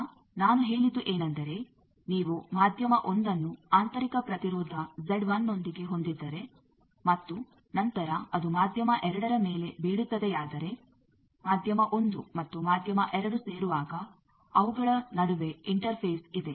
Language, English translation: Kannada, Now, what I said that if you have a medium 1 with intrinsic impedance Z 1 and then it falls on a medium 2, so there is an interface between the medium 1 and 2 where they are joining